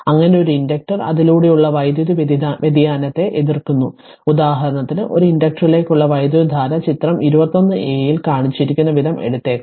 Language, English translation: Malayalam, Thus, an inductor opposes an abrupt change in the current through it; for example, the current through an inductor may take the form shown in figure 21a